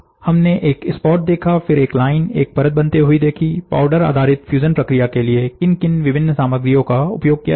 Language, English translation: Hindi, So, we saw a spot, then we say a line, then we saw a layer making, what are the different materials used for powder based fusion